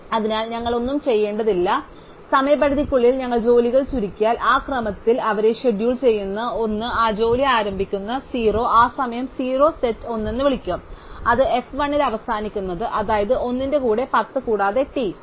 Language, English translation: Malayalam, So, we do not have do anything, once we have sorted the jobs by deadline, we just schedule them in that order to the job 1 starts that time 0 which will call as set 1, it ends at f of 1 which is t of 1 0 plus t of 1